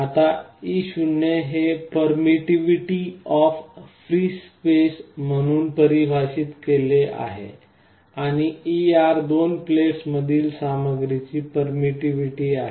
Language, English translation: Marathi, Now, e 0 is defined as the permittivity of free space, and e r is the permittivity of the material between the two plates